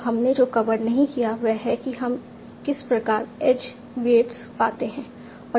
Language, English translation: Hindi, So what we did not cover is how do we find the edge weights